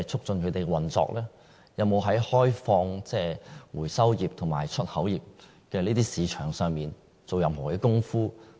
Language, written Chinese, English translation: Cantonese, 政府有否在開放回收業和出口業市場上做過任何工夫？, Has the Government ever made any effort in opening up export markets for the recycling sector?